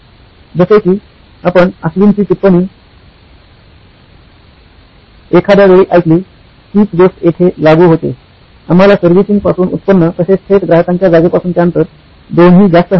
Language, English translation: Marathi, Like, you heard Ashwin comment at some point of time, the same applies here, is we want both high direct revenue from servicing as well as distance from customer location to be far